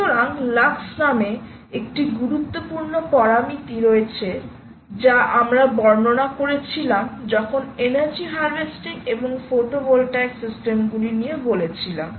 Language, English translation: Bengali, so there is one important parameter called the lux, which we descript to described already, when we are looking at energy harvesting and photovoltaic systems and so on